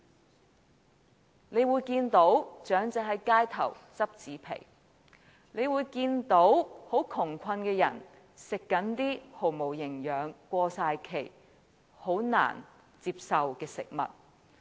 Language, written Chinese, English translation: Cantonese, 大家會看到長者在街頭撿拾紙皮，又會看到窮困的人吃一些毫無營養、難以接受的過期食物。, We will also find elderly people collecting cardboards on the streets and poor people eating expired food which is not nutritious and hardly acceptable